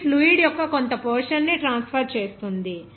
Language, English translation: Telugu, It involves a bulk transfer of portion of the fluid